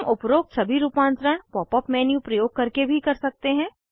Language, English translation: Hindi, We can also use the Pop up menu to do all the above modifications